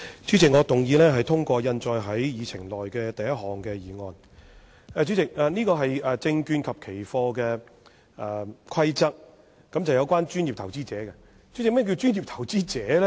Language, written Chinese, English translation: Cantonese, 主席，這項議案是關於《2018年證券及期貨規則》，和專業投資者有關，但何謂"專業投資者"呢？, President the proposed resolution is about the Securities and Futures Amendment Rules 2018 a piece of subsidiary legislation concerning professional investors PIs but what is the meaning of professional investor?